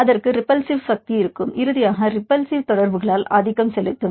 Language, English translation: Tamil, It will have the repulsive force; finally, it will dominated by the repulsive interactions